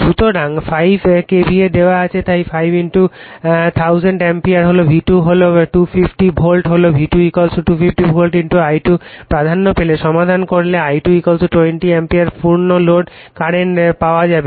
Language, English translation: Bengali, So, this 5 KVA is given so, 5 * 1000 ampere = V2 is to 250 volt we got V2 = 250 volt * I2 prominence if you solve you will get I2 = 20 ampere the full load current